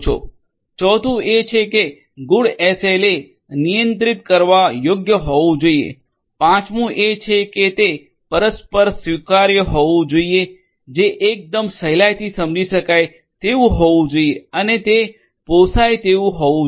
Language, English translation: Gujarati, Fourth is that a good SLA should be controllable, fourth fifth is that it should be mutually acceptable which is also quite will you know easily understood and should be affordable